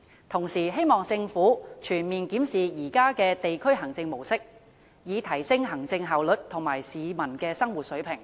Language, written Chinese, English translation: Cantonese, 同時希望政府全面檢視現有的地區行政模式，以提升行政效率和市民的生活水平。, It is also hoped that the Government will comprehensively review the existing district administration models to enhance administrative efficiency and peoples standard of living